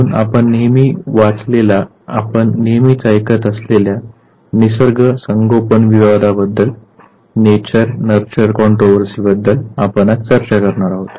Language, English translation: Marathi, So nature, nurture controversy that you always read about, that you always hear about that is what we are going to discuss today